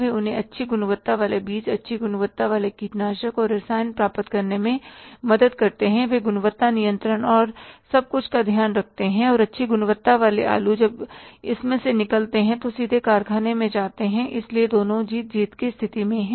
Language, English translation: Hindi, They help them to get the good quality seeds, good quality pesticides and chemicals, they take care of the quality control, everything and that good quality potato waste when comes out of it, directly goes to the factory, so both are in the wind win situation